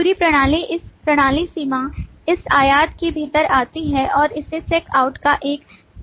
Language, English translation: Hindi, The whole system falls within this system boundary, this rectangle, and is given a subject name of check out